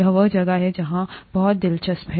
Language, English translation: Hindi, This is where it is very interesting